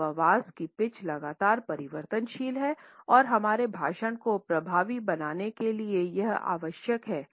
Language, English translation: Hindi, The pitch of human voice is continuously variable and it is necessary to make our speech effective